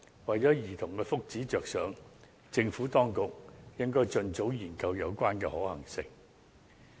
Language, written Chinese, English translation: Cantonese, 為了兒童的福祉着想，政府當局應該盡早研究有關的可行性。, For the well - being of children the Government should study its feasibility expeditiously